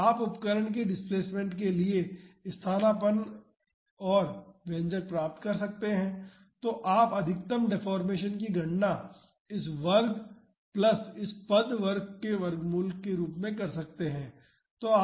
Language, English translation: Hindi, So, you can substitute and get the expression for the displacement of the instrument and you can calculate the maximum deformation as square root of this term square plus this term square